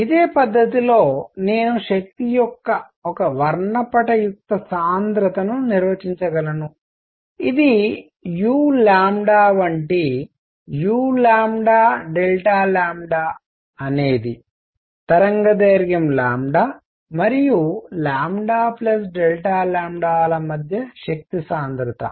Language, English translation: Telugu, In the similar manner I can define a spectral density of energy which is u lambda such that u lambda delta lambda is the energy density between wavelength lambda and lambda plus delta lambda